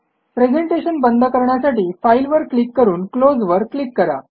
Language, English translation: Marathi, Now we will close the file.To close the presentation, click on File and Close